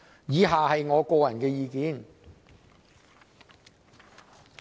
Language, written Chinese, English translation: Cantonese, 以下是我的個人意見。, Next I will express my personal views